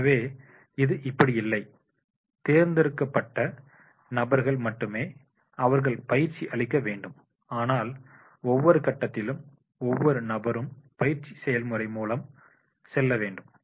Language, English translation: Tamil, So, it is not like this, it is only the selective people they have to give the training but it is that is the every person at every stage has to go through the training process